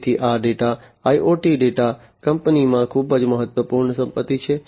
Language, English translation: Gujarati, So, this data the IoT data is very important asset within the company